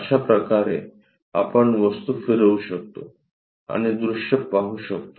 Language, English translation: Marathi, This is the way also we can rotate the object and look at the views